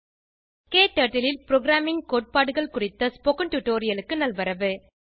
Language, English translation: Tamil, Welcome to this tutorial on Programming concepts in KTurtle